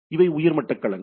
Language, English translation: Tamil, So, this is a domain